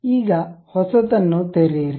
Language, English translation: Kannada, Now, open a new one